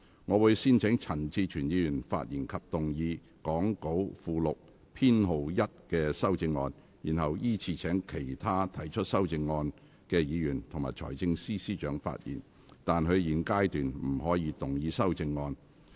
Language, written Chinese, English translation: Cantonese, 我會先請陳志全議員發言及動議講稿附錄編號1的修正案，然後依次請其他提出修正案的議員及財政司司長發言；但他們在現階段不可動議修正案。, I will first call upon Mr CHAN Chi - chuen to speak and move Amendment No . 1 set out in the Appendix to the Script to be followed by other amendment proposers and the Financial Secretary in sequence; but they may not move amendments at this stage